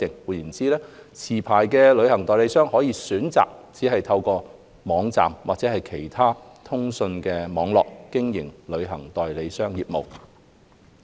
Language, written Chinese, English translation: Cantonese, 換言之，持牌旅行代理商可選擇只透過網站或任何其他通訊網絡，經營旅行代理商業務。, In other words licensed travel agents will be allowed to carry on travel agent business solely through websites or other communication networks